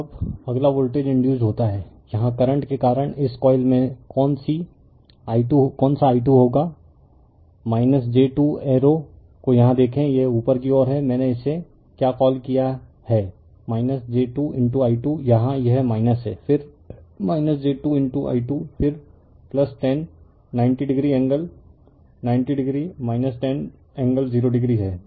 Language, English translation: Hindi, Now, next is voltage induced your what you call in this coil due to the current here i 2 will be minus j 2 look at the arrow here it is upward, I have made it your what you call minus j 2 into i 2 right here, it is minus then minus j 2 into i 2, then plus 10, 90 degree angle, 90 degree minus 10 angle 0 degree